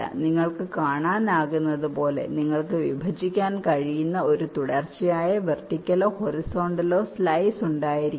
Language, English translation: Malayalam, as you can see, you cannot have a continuous vertical or a horizontal slice that can partition this floor plan